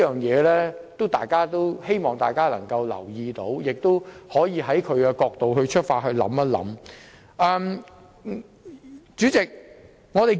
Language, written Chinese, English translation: Cantonese, 因此，我希望大家留意，並嘗試從他的角度出發和思考。, Therefore I hope everyone will pay attention to this and try to understand and think from his perspective